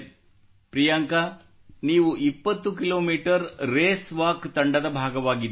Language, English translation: Kannada, Priyanka, you were part of the 20 kilometer Race Walk Team